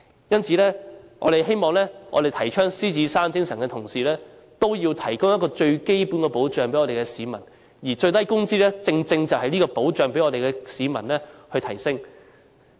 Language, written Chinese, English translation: Cantonese, 因此，我們希望提倡獅子山精神的同時，也要為市民提供最基本的保障，而最低工資正正就是這個保障，提升市民的基本保障。, Therefore while advocating the Lion Rock Spirit we hope basic protection is provided to the people and the minimum wage is precisely that safeguard that can enhance the basic protection of the people